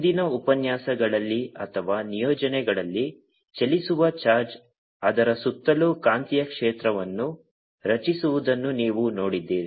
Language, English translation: Kannada, in one of the previous lectures or assignments you seen that a moving charge create a magnetic field around it